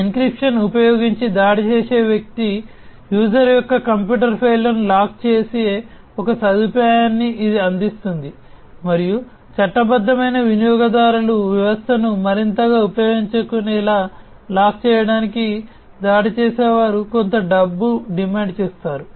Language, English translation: Telugu, It provides a facility to the attacker in which the attacker locks the user’s computer files by using an encryption and then the attacker will demand some money in order for them to lock the system to be further used by the legitimate users